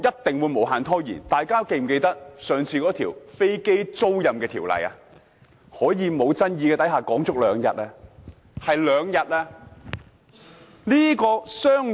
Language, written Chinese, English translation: Cantonese, 大家是否記得上次有關飛機租賃的法案，在無爭議的情況下討論了兩天？, Can Members recollect that we spent two days debating a bill concerning aircraft leasing which was by no means controversial?